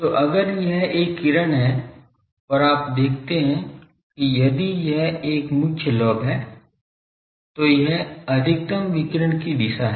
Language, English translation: Hindi, So, if this is a beam and you see that if this is a main lobe , then this is the direction of maximum radiation